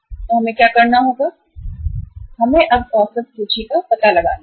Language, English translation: Hindi, So what we will have to do is we will have to now find out the average inventory